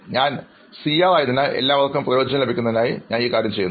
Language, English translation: Malayalam, Since I am the CR, so I am doing that thing so that everybody could benefit